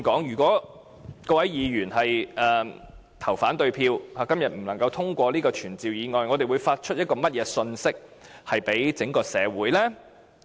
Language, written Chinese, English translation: Cantonese, 如果各位議員對議案投反對票，以致今天不能通過這項傳召議案，我們會向整個社會發出甚麼信息呢？, If Members vote against the motion so that this summoning motion is not passed today what message shall we be sending to the whole society?